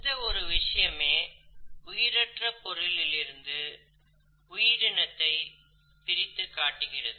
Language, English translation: Tamil, Now this is one critical feature which sets the living world separate from the non living world